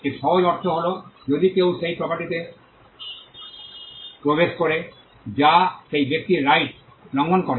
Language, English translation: Bengali, It simply means that, if somebody intrudes into the property that is a violation of that person’s right